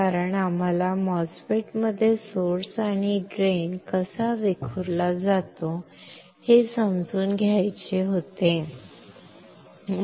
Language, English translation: Marathi, Because we had to understand how source and drain are diffused in the MOSFET